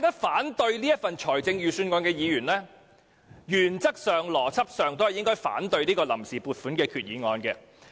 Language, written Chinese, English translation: Cantonese, 反對這份預算案的議員，原則上和邏輯上都應該反對這項臨時撥款決議案。, Members who oppose this Budget should logically oppose the Vote on Account Resolution in principle